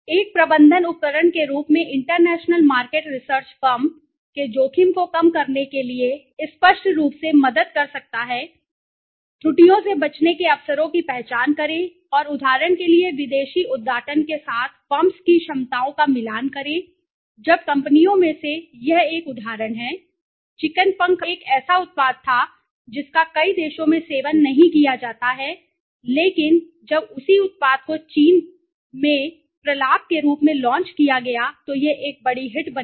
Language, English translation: Hindi, As a management tool international market research can help the firm to reduce its exposure to risk obviously, yes, right avoid errors identify the opportunities and match the firms capabilities with foreign openings for example when one of the companies they this is an example the chicken wings now that was one product which is not consumed in many countries but when the same product was launched as a delicacy in China it become a major hit right